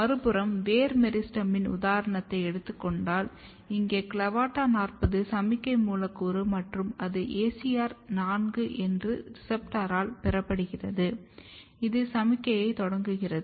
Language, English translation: Tamil, On the other hand, if you took the example of root meristem, here CLAVATA40 is the signaling molecule and it is received by ACR4 and this basically initiate the, the signaling